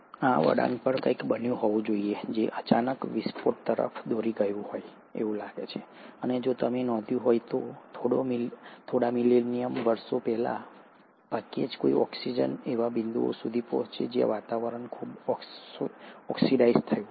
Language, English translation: Gujarati, Something must have happened at this turn, which would have led to the sudden burst, and if you noticed, within a few million years, from hardly any oxygen to reach a point where the atmosphere becomes highly oxidized